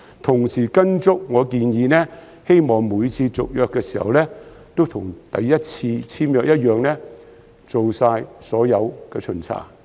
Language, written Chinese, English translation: Cantonese, 同時，我希望政府會按照我的建議，每次續約時都會跟首次簽約時一樣，做好所有巡查。, At the same time I also hope that the Government will follow my suggestion and conduct all the inspections properly at every tenancy renewal just as it did at the time when the first tenancy agreement was signed